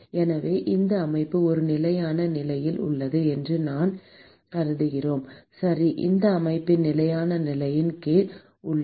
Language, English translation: Tamil, So, we assume that this system is under a steady state, right, that is the system is under steady state conditions